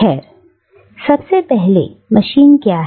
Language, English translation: Hindi, Well, first of all, what is a machine